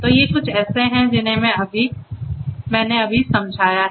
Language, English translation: Hindi, So, these are some of the ones that I have just explained